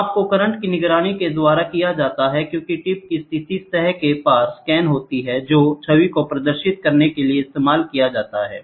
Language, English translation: Hindi, The measurements are made by monitoring the current as the tip positions scans across the surface; which can then be used to display the image